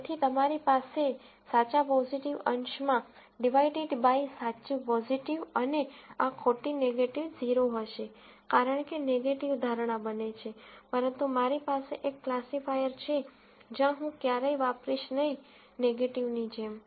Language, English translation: Gujarati, So, you will have true positive on the numerator divided by true positive, and this false negative will be 0 and the false negative will be 0, because negative speaks to the prediction, but I have a classifier, where I am never going to play it like negative